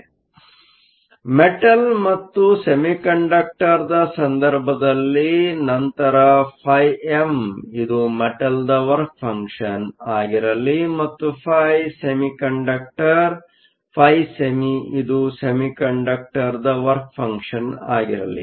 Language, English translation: Kannada, So, in the case of a Metal and Semiconductor, let phi m be the work function of the metal and phi semiconductor, phi semi be the work function of the semiconductor